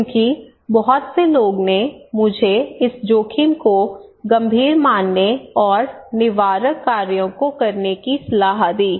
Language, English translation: Hindi, Because many people are advising me to consider this risk as serious and to take preventive actions